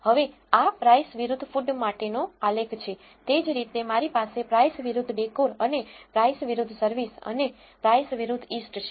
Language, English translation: Gujarati, Now, this is the plot for price versus food similarly I have price versus decor and price versus service and price versus east